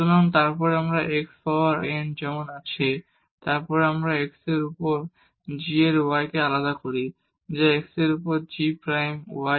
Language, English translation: Bengali, So, and then x power n as it is and we differentiate this g of y over x which is g prime y over x